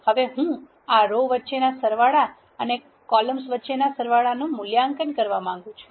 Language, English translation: Gujarati, Now, I want to evaluate these sums across the rows and the sums across the columns